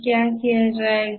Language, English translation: Hindi, What will be done